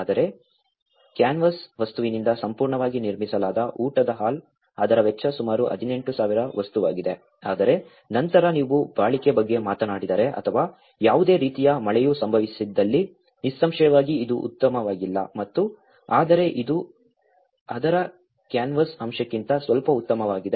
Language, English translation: Kannada, whereas, the dining hall which is completely built with the canvas material, so that itself has costed about 18,000 material but then if you talk about the durability or if there is any kind of rain occurs then obviously this may not so better and but this is little better than the canvas aspect of it